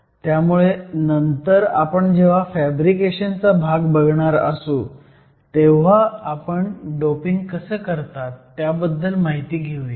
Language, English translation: Marathi, So, later when we look at the fabrication part, we will spend some more time on how we actually dope